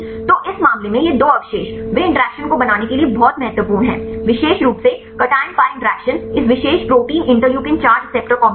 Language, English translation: Hindi, So, in this case these two residues they are very important to form the interaction specifically a cation pi interaction in this particular protein interleukin 4 receptor this complex fine